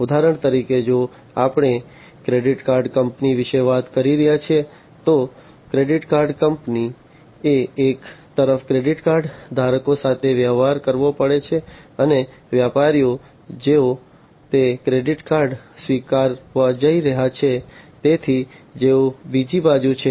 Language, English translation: Gujarati, For example, if we are talking about a credit card company, so credit card company has to deal with the credit card holders on one side, and the merchants, who are going to accept those credit cards; so, those on the other side